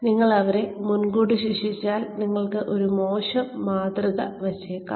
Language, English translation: Malayalam, If you punish them up front, then you could be setting a bad example